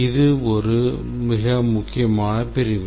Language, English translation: Tamil, It is a very important section